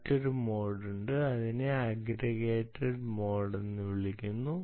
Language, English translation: Malayalam, another mode is there, which is called the aggregated mode